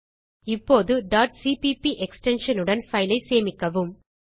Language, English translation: Tamil, Now save the file with .cpp extension